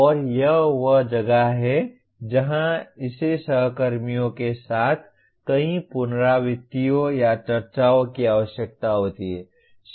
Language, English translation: Hindi, And this is where it requires maybe several iterations or discussions with colleagues